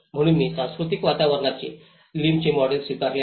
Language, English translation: Marathi, So, I have adopted Lim’s model of cultural environment